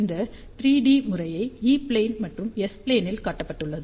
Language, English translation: Tamil, And this 3 D pattern is shown in E plane and H plane